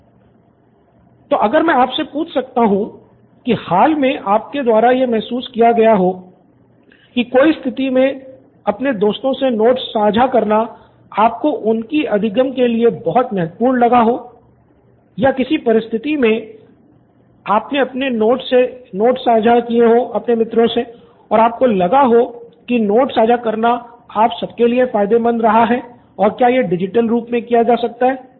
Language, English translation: Hindi, So if I may ask was there any situation recently you’ve come across where you felt sharing of your personal notes was very important as a part of learning for your friends as in even if you’ve shared notes with your friends or receive notes, is there any situation where you felt yes this sharing of notes is very important for us and if it can be done digitally